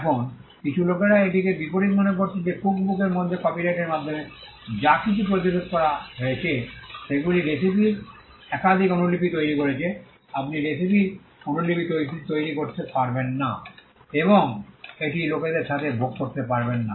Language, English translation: Bengali, Now, some people find it counterintuitive that in a cookbook what is prevented by way of a copyright is making multiple copies of the recipe you cannot make copies of the recipe and you cannot share it with people